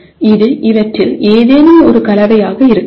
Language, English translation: Tamil, And it can be a combination of any of these